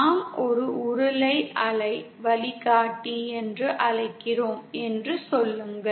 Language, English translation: Tamil, Say we have what we call a cylindrical waveguide